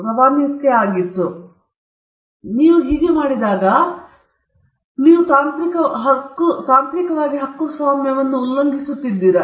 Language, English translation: Kannada, Now, if you do that, technically, are you violating a copyright